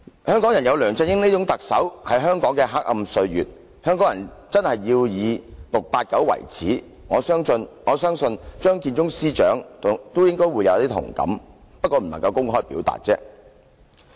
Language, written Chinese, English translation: Cantonese, 香港人有梁振英這種特首，是香港的黑暗歲月，香港人真的要以 "689" 為耻，我相信張建宗司長也應該會有同感，只是無法公開表達。, The years with LEUNG Chun - ying being the Chief Executive is a dark period for Hong Kong; Hong Kong people should really be ashamed of 689 and I believe Chief Secretary Matthew CHEUNG should feel the same but he simply cannot express that sentiment openly